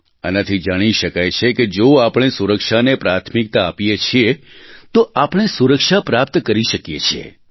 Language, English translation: Gujarati, This proves that if we accord priority to safety, we can actually attain safety